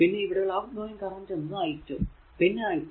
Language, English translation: Malayalam, And outgoing currents are i 2 and i 3